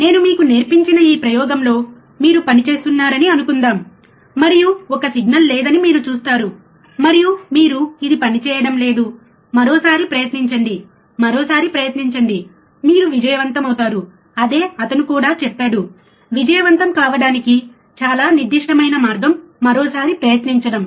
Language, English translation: Telugu, Suppose you work on this experiment what I have taught you, and you will see there is no single and you said, oh, this is not working do that try once again, try once again, you will succeed that is what he also said that the most certain way to succeed is to try one more time